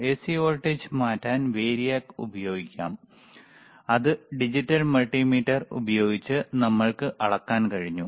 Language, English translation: Malayalam, Variac can be used to change the AC voltage, which we were able to measure using the digital multimeter